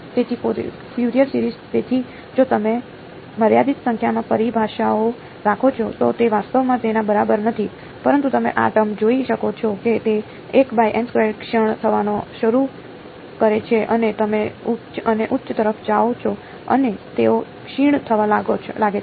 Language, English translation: Gujarati, So, Fourier series, so if you keep finite number of terms it is not actually equal to that, but you can see these terms they begin to decay there is a 1 by n squared as you go to higher and higher and they begin to decay